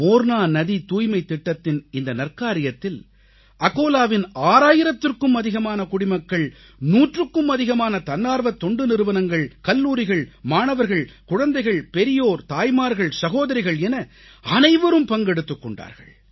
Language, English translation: Tamil, This noble and grand task named Mission Clean Morna involved more than six thousand denizens of Akola, more than 100 NGOs, Colleges, Students, children, the elderly, mothers, sisters, almost everybody participated in this task